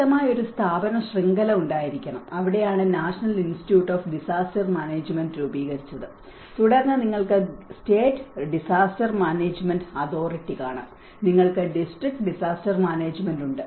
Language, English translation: Malayalam, And there should be a strong institutional network, and that is where the National Institute of Disaster Management has been formulated and then you can see the State Disaster Management Authority, you have the District Disaster Management